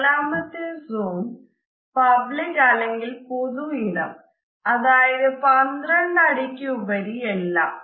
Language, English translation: Malayalam, The fourth zone is the public zone or the public space, which is anything over 12 feet